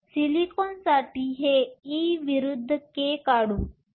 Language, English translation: Marathi, So, let us draw this e versus k for silicon